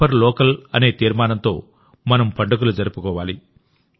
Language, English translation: Telugu, We have to celebrate our festival with the resolve of 'Vocal for Local'